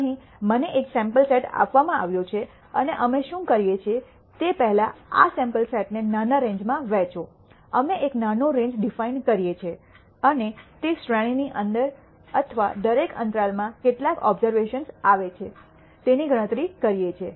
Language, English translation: Gujarati, Here I am given a sample set and what we do is rst divide this sample set into small ranges; we de ne a small range and count how many observations fall within that range or within each interval